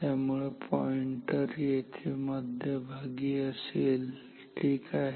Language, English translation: Marathi, So, the pointer will be here at this center ok